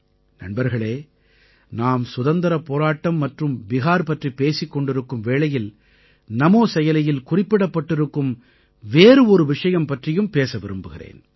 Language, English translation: Tamil, as we refer to the Freedom Movement and Bihar, I would like to touch upon another comment made on Namo App